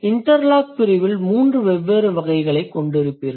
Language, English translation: Tamil, So, in the category of interlocking you will have three different types